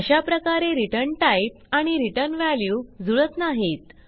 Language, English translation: Marathi, So, there is a mismatch in return type and return value